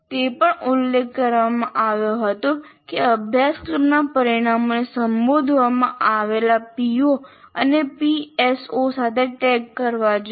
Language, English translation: Gujarati, And we also said course outcomes should be tagged with the POs and PSOs addressed are required to be addressed